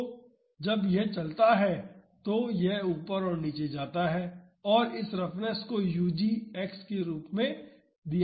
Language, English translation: Hindi, So, when it moves it goes up and down and that roughness is given as u g X